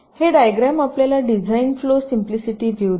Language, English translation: Marathi, ok, so this diagram gives you a simplistic view of design flow